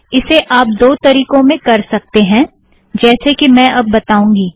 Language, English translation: Hindi, You may do this in two ways as I show now